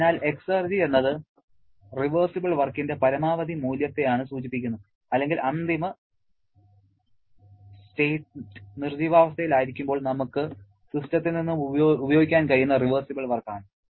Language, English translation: Malayalam, So, exergy refers to the maximum value of reversible work that or I should say the reversible work we can harness from the system when the final state is the dead state